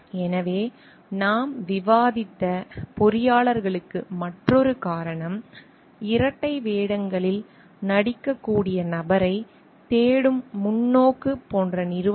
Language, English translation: Tamil, So, another reason for the engineers to so what we have discussed is about the companies like, perspective on going for a searching for person with like who can play dual roles